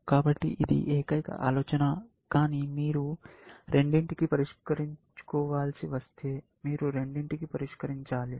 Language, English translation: Telugu, So, that is the only idea, but if you have to solve for both you have to solve for both